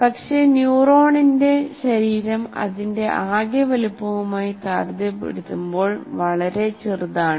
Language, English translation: Malayalam, But the body of the neuron is extremely small in size and compared in comparison to its total size